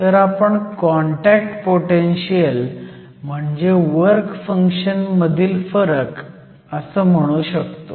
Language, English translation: Marathi, So, we can depict the contact potential here which is the difference between the work functions